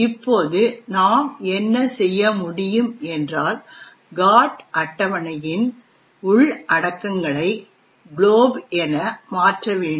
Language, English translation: Tamil, Now what we can do is change the contents of the GOT table to point to glob